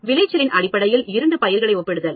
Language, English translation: Tamil, Comparison of two crops, based on their yield